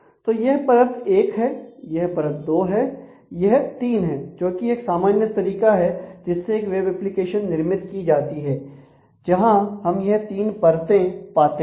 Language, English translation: Hindi, So, this is a tier 1 this is tier 2 and this is tier 3 which is a very typical way a web application will be architected and these are the three layers or three tiers that we will usually find